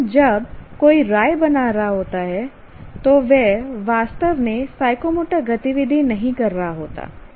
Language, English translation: Hindi, But when somebody is judging, he is not actually performing the psychomotor activities